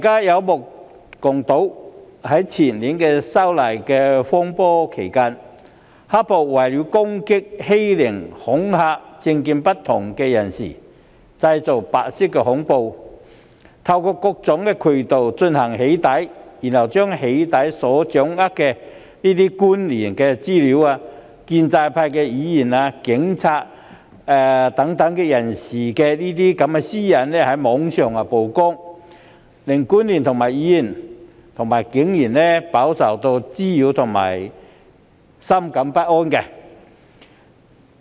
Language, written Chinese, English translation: Cantonese, 於前年發生修例風波期間，大家也曾目睹"黑暴"人士為了攻擊、欺凌及恐嚇不同政見人士，便製造白色恐怖，透過各種渠道對他們進行"起底"，然後把所掌握的官員、建制派議員和警務人員等人士的個人資料在網上披露，令這些私隱曝光的官員、議員和警務人員飽受滋擾及深感不安。, During the period of controversy over the proposed legislative amendments to the Fugitive Offenders Ordinance a couple of years ago we all witnessed how the black - clad thugs created white terror by doxxing those people holding different views from theirs through various channels in order to attack bully and intimidate them . Those thugs then went on to disclose on the Internet the personal data of government officials pro - establishment Members and police officers that they had gathered thus rendering the data subjects subject to much harassment and disturbance